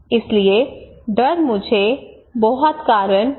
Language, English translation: Hindi, So fear would not give me much reason